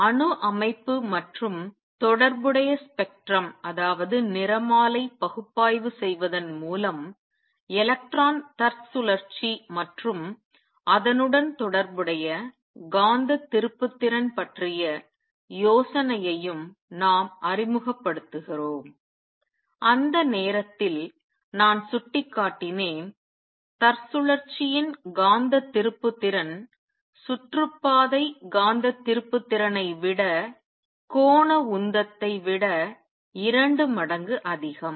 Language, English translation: Tamil, And by analyzing atomic structure and the related spectrum we also introduce the idea of electron spin and associated magnetic moment I pointed out at that time that the magnetic moment of spin is twice as much for given angular momentum as the orbital magnetic moment